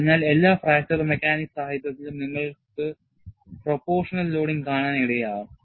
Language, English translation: Malayalam, So, in all fracture mechanics literature, you will come across the terminology proportional loading